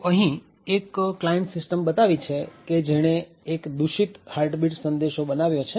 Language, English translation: Gujarati, So, we have a client system over here which has created a malicious heartbeat message